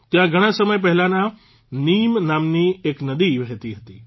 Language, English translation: Gujarati, A long time ago, there used to be a river here named Neem